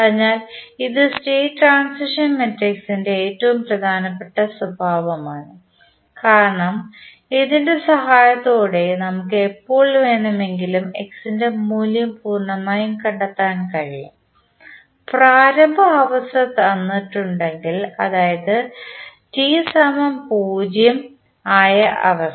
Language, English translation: Malayalam, So, this is one of the most important property of the state transition matrix because with the help of this we can completely find the value of x at any time t given the initial state that is state at time t is equal to 0